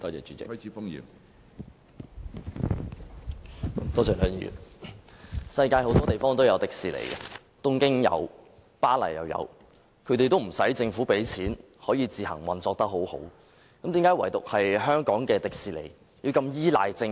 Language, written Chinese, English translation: Cantonese, 主席，世界各地也有迪士尼，例如東京及巴黎，但都不需政府動用公帑，也能運作良好，為何唯獨香港迪士尼要如此依賴政府呢？, President there are Disneylands all over the world such as the ones in Tokyo and Paris . They all work well without government funding so why is that only the one in Hong Kong is so dependent on the Government?